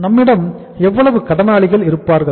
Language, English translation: Tamil, How much sundry debtors we will have